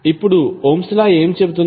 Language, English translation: Telugu, Now, what Ohm’s law says